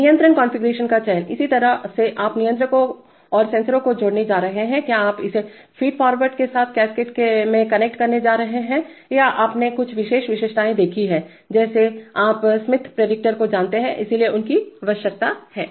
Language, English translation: Hindi, Selection of control configuration, that is how you are going to connect the controllers and the sensors, are you going to connect it in cascade with feed forward or you have seen some special features like you know Smith predictor, so these needs to be need to be done